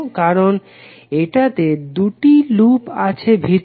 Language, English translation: Bengali, Because it contains 2 loops inside